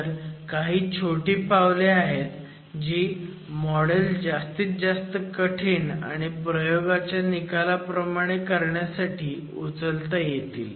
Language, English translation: Marathi, So, these are additional steps that are available to make the model more rigorous and match experimental results